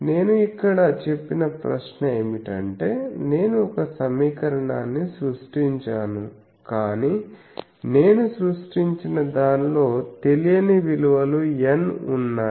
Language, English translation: Telugu, Now the question is that what the question I said here, that I had created that one equation, but I have made unknowns I have created to be n numbers capital N number of unknown